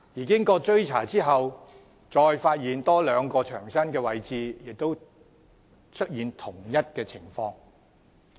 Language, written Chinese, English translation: Cantonese, 經過追查後，牆身再有多兩處位置被發現出現同一情況。, After further inquiry it was found that two other spots of the wall had the same problem